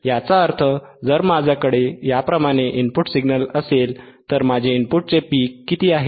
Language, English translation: Marathi, tThat means, if I have input signal right like this, what is my in peak of the input